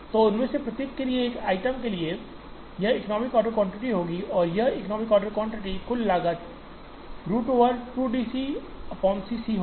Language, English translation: Hindi, So, for each of them for a single item, this will be the economic order quantity and the total cost at the economic order quantity will be root over 2 D C naught C c